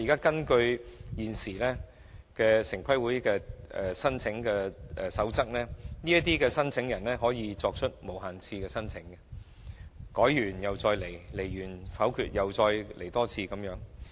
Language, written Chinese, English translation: Cantonese, 根據現時城規會的申請守則，申請人可以無限次提出申請，在申請遭否決後依然可以再次提交申請。, According to the application criteria laid down by TPB an applicant may submit application for unlimited times and a new application can be submitted after the previous application is turned down